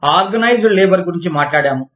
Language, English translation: Telugu, We were talking about, Organized Labor